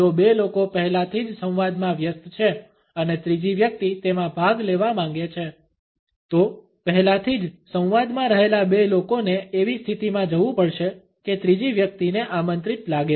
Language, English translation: Gujarati, If two people are already engross in the dialogue and the third person wants to participate in it, the two people who are already in the dialogue have to move in such a position that the third person feels invited